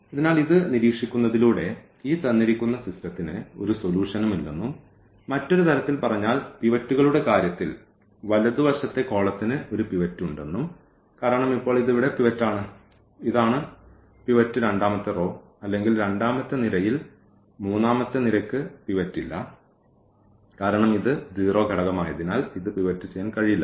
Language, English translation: Malayalam, So, by observing this we conclude that this system the given system has no solution and in other words in terms of the pivots we call that the right the rightmost column has a pivot because now this is the pivot here and this is the pivot in the second row or in the second column; the third column has no pivot because this cannot be pivot because this is a 0 element